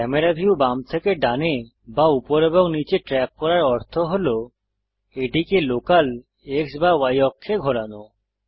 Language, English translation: Bengali, Tracking the camera view left to right or up and down involves moving it along the local X or Y axes